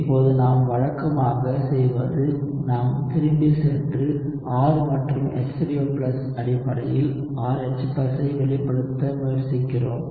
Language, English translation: Tamil, Now what we usually do is we move back and try to express RH+ in terms of R and H3O+